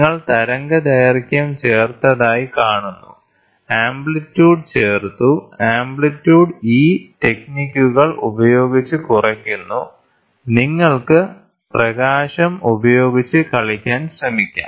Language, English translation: Malayalam, So, you see the wavelength is added, the amplitude is added, the amplitude is subtracted with these techniques; you can try to play with light